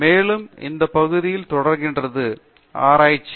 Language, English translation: Tamil, And, research is continuing in that area